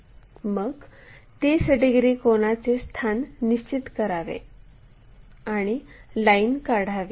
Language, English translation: Marathi, And, there 30 angles we have to locate join these lines